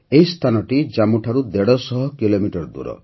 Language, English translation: Odia, This place is a 150 kilometers away from Jammu